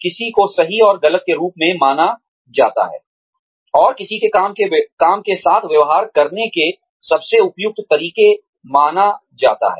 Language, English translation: Hindi, What one considers as right and wrong, and the most appropriate ways of dealing, with one's work